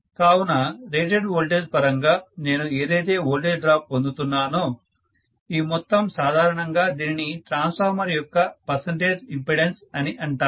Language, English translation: Telugu, So this entire thing, what I get as the overall voltage drop with respect to the voltage rated, this is generally known as the percentage impedance of the transformer